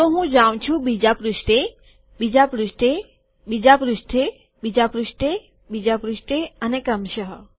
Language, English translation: Gujarati, If I go to the next page, next page, next page, next page, next page and so on